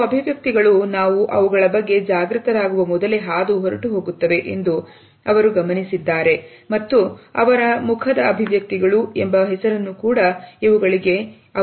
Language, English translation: Kannada, They noted that certain expressions occur and go even before we become conscious of them and they gave them the name micro momentary facial expressions